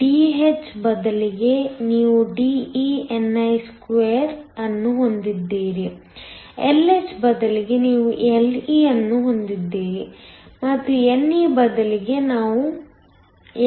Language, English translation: Kannada, Instead of Dh, you have De ni2; instead of Lh, you will have Le and instead of ne, you will have NA